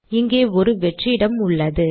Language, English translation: Tamil, I am giving a space here